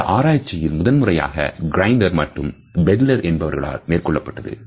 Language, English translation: Tamil, This research was taken up for the first time by Grinder and Bandler